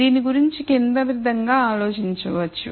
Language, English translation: Telugu, The way to think about this is the following